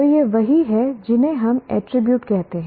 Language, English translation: Hindi, So these are what we call attributing